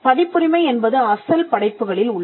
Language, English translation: Tamil, Copyright subsists in original works